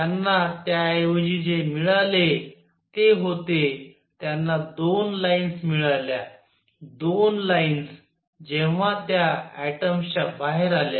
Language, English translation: Marathi, What they got instead was they got 2 lines, 2 lines, when the atoms came out